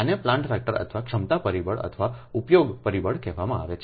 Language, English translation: Gujarati, so this is known as plant factor, capacity factor or use factor